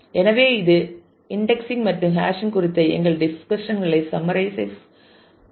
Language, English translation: Tamil, So, this summarizes our discussions on indexing and hashing